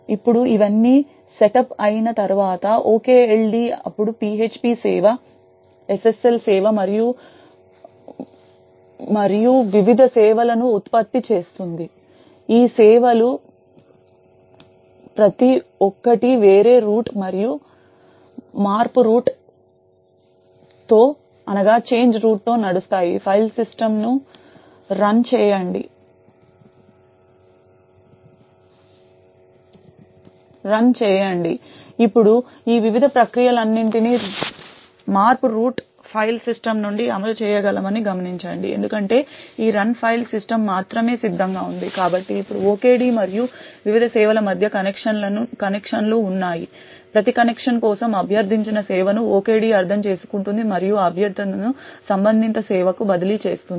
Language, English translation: Telugu, Now once all of this is setup the OKLD would then generate the various services like the php service, the SSL service and so on, each of these services runs with a different root and the change root of run file system, now note that we can actually have all of these various processes running from the change root file system because this run file system is ready only, so now there are connections between the OKD and the various services, for every connection that is requested the OKD would interpret the service that is requested and transfer that request to the corresponding service